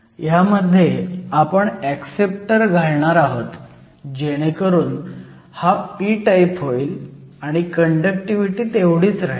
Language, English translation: Marathi, So, we are going to add acceptors to make this sample p type with having the same conductivity value